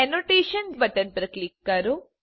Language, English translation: Gujarati, Click on the Annotation Button